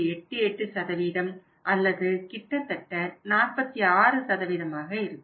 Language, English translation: Tamil, 88% or almost 46%